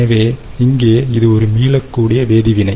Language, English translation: Tamil, so here again, its a reversible reaction